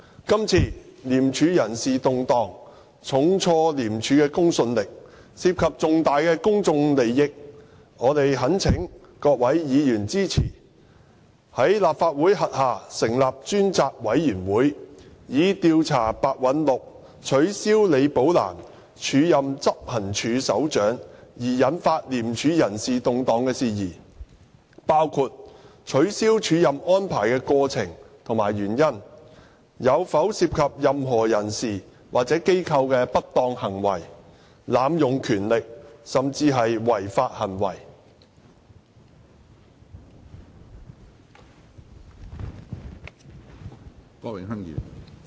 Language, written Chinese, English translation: Cantonese, 今次廉署人事動盪重挫廉署的公信力，涉及重大公眾利益，我們懇請各位議員支持，在立法會轄下成立專責委員會，以調查白韞六取消李寶蘭署任執行處首長而引發廉署人事動盪的事宜，包括取消署任安排的過程及原因，有否涉及任何人士或機構的不當行為、濫用權力、甚至違法行為。, Since the serious blow dealt by the personnel reshuffle of ICAC to its credibility involves significant public interest we implore Members to support the setting up of a select committee under the Legislative Council to inquire into matters related to the personnel reshuffle within ICAC arising from Simon PEH ceasing the acting appointment of Ms Rebecca LI as Head of Operations including the process of and reasons for such cessation and whether or not misconduct abuse of power and even unlawful acts by any persons or organizations are involved